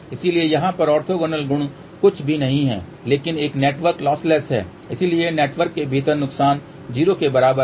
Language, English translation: Hindi, So, over here orthogonal property is nothing but since a network is losses within the network will be equal to 0